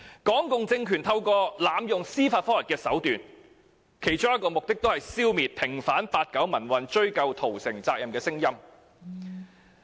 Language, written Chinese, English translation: Cantonese, 港共政權濫用司法覆核，其中一個目的是為了消滅平反八九民運、追究屠城責任的聲音。, One of the purposes of abusing judicial reviews by the Hong Kong communist regime is to silence voices calling for apportioning responsibility for the massacre